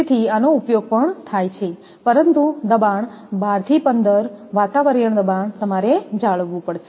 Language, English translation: Gujarati, So, this is also used, but pressure, 12 to 15 atmospheric pressure you have to maintain